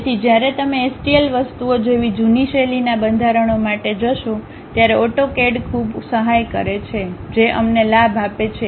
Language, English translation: Gujarati, So, when you are going for old style formats like STL things, AutoCAD really enormous help it gives us a advantage